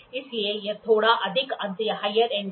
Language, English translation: Hindi, So, this is a slightly higher end